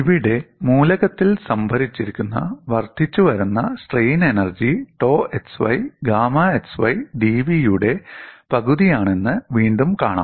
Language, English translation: Malayalam, Here, again you find the incremental strain energy stored in the element is one half of tau x y gamma x y d V